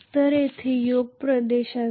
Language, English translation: Marathi, So there will be a Yoke Region